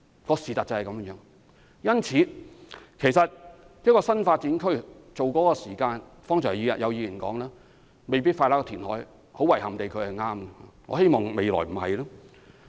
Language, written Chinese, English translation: Cantonese, 因此，剛才有議員提到，興建一個新發展區所需要的時間未必較填海少，很遺憾地他是對的，我希望未來不會這樣。, Therefore just now a Member said that the time needed for developing a new development area might not necessarily be shorter than that for reclamation; I regret to say that he was right . Yet I do not want to see the same thing happens again in future